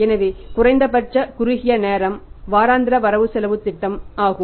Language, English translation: Tamil, So, the minimum time horizon, the shortest time horizon is the weekly cash budgets